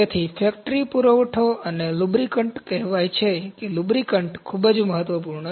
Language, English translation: Gujarati, So, factory supplies and lubricant it is said, lubricants is very important